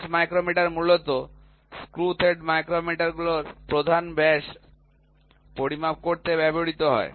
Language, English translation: Bengali, Bench micrometer is predominantly used to measure the major diameter of screw threads